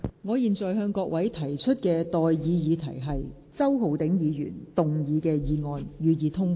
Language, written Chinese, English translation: Cantonese, 我現在向各位提出的待議議題是：周浩鼎議員動議的議案，予以通過。, I now propose the question to you and that is That the motion moved by Mr Holden CHOW be passed